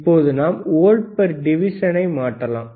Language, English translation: Tamil, Now we can change the volts per division